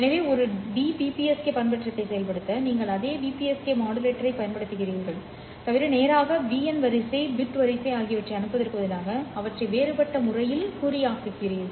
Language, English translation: Tamil, So, in order to implement a DPPSK modulation, you simply use the same BPSK modulator, except that instead of sending the straight BN sequence, the bit sequence, you then differentially encode them